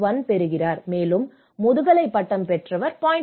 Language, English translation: Tamil, 1 and persons completed master's degree is 0